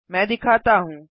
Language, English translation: Hindi, Let me demonstrate